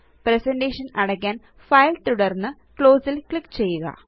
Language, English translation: Malayalam, Now we will close the file.To close the presentation, click on File and Close